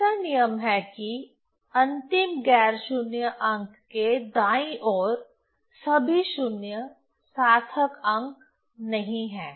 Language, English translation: Hindi, 3 rule is all 0s to the right of the last non zero digit are not significant figures